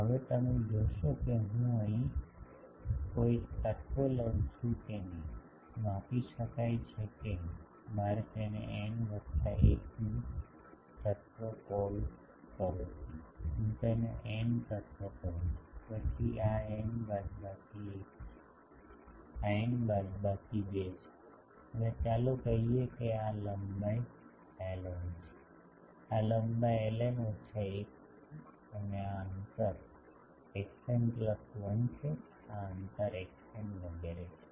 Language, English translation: Gujarati, Now you see if I take an element here; that is getting scaled suppose I call it n plus 1 th element, I call it n element, then this is n minus 1, this is n minus 2 and let us say that this length is l n, this length is l n minus 1 and this distance is x n plus 1 this distance is x n etc